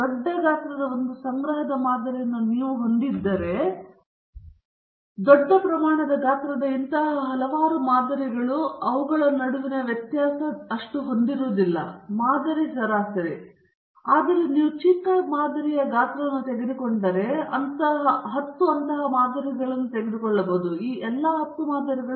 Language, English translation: Kannada, If you a collect sample of large size, then several such samples of large sizes may not have much differences between them in terms of the mean the sample mean but if you take a very small sample size, and you take a ten such samples, there is a strong chance that all these ten samples have very different means